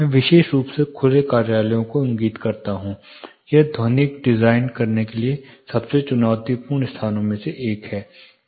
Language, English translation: Hindi, Why I specifically point open offices, it is one of the most challenging spaces for designing, acoustical you know for doing acoustical design